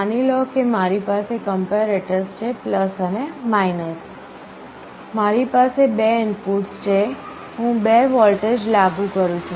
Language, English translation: Gujarati, Suppose I have a comparator like this + and , I have two inputs I apply two voltages